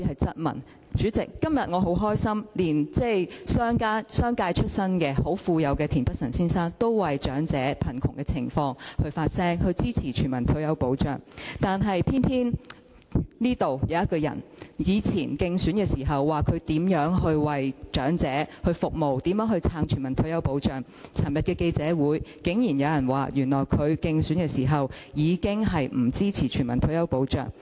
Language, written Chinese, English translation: Cantonese, 主席，今天我很高興，連在商界出身、很富有的田北辰議員，也為長者的貧窮情況發聲，支持全民退休保障，但偏偏這裏有一個人，他以往在競選時說過會為長者服務，並支持全民退休保障，但在昨天的記者會上，竟然說原來他在競選時，便已經不支持全民退休保障。, President today I am glad to hear that even Mr Michael TIEN a very rich man from the business sector has spoken about the poverty of the elderly and expressed his support for implementing universal retirement protection . On the contrary there is a person in this Chamber who claimed during his election campaign that he would serve the elderly and support implementing universal retirement protection; yet at yesterdays press conference he surprisingly said that he did not support implementing universal retirement protection back then